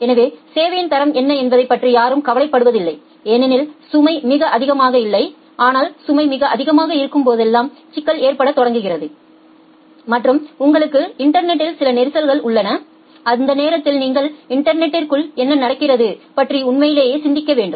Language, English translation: Tamil, So, no one cares about what is the quality of service because the load is not very high, but the problem starts occurring when the load is very high and you have certain congestion in the network and during that time you have to really think of that what is happening inside network